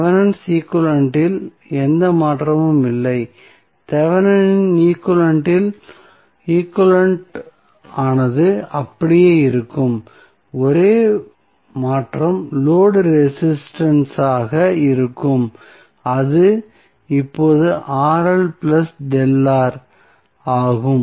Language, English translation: Tamil, So, there is no change in the Thevenin equivalent, Thevenin equivalent will remain same, the only change would be the load resistance that is now Rl plus delta R